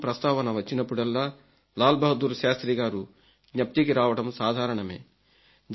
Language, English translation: Telugu, And whenever we talk of the 65 war it is natural that we remember Lal Bahadur Shastri